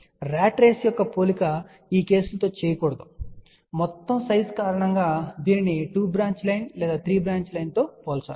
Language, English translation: Telugu, The comparison of a ratrace should not be done with these cases, it should be compared with 2 branch line or maybe say between 3 branch line because of the total size